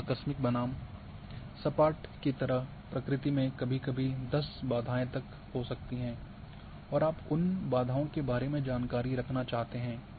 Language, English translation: Hindi, Now in case of abrupt versus a smooth like sometimes in nature there might be some 10 certain barriers and you want to keep the information about those barriers